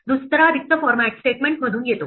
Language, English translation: Marathi, The second blank comes from the format statement